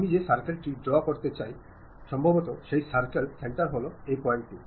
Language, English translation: Bengali, Circle I would like to draw, maybe center of that circle is this point